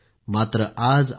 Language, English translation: Marathi, But today it is not so